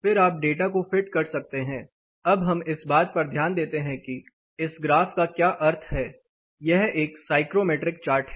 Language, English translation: Hindi, Then you can fit the data; now let us take a close look at what the graph itself means this is psychrometric chart